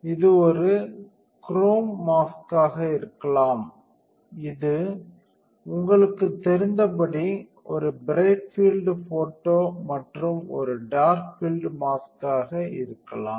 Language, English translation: Tamil, It can be a chrome mask, it can be bright field and dark field as you know